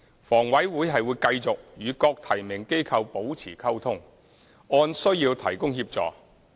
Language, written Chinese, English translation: Cantonese, 房委會會繼續與各提名機構保持溝通，按需要提供協助。, HA will maintain liaison with the nominating authorities and offer assistance where necessary